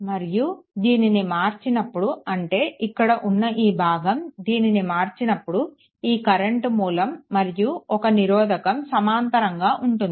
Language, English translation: Telugu, And when you convert this one, I mean this portion, when you convert this one, your this current source and one resistor is there in parallel